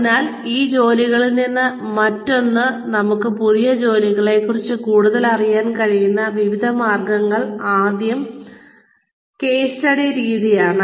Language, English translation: Malayalam, So, various ways in which, we can learn more about, new jobs by being away, from these jobs are, first is case study method